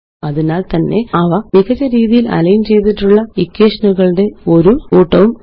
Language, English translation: Malayalam, So there is a perfectly aligned set of equations